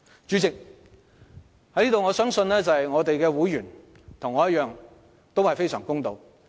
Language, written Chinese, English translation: Cantonese, 主席，我相信我的會員與我同樣公道。, President I believe my fellow members like me are fair